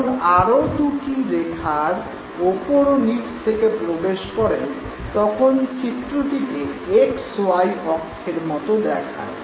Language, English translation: Bengali, When two more straight lines enter from top and bottom respectively you perceive an X, Y coordinate